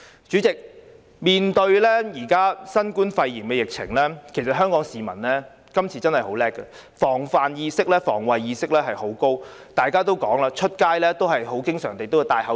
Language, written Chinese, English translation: Cantonese, 主席，面對現時新冠肺炎疫情，今次香港市民真的很了不起，防範或防衞意識非常高，外出經常佩戴口罩。, Chairman in face of the novel coronavirus epidemic the people of Hong Kong are really marvellous in displaying a high degree of vigilance and always wear a mask while going out